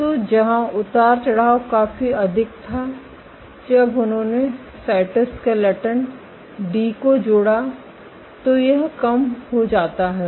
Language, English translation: Hindi, So, where fluctuation is was significantly higher when they added cytoskeleton D this is decreased ok